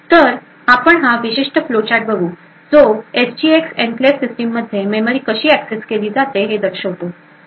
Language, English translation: Marathi, So, we look at this particular flow chart which shows how memory accesses are done in an SGX enclave system